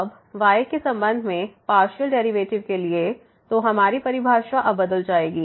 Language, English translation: Hindi, Now, for the partial derivative with respect to , so our definition will change now